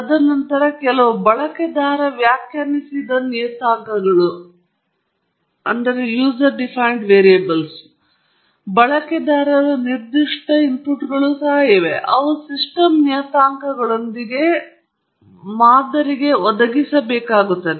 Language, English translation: Kannada, And then, there are also certain user defined parameters and or user specific inputs that you will have to provide to the model along with the system parameters